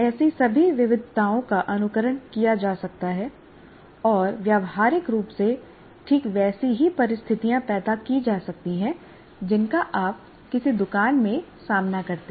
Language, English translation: Hindi, So all such variations can be simulated and practically create exactly the same circumstances that you can encounter in a shop like that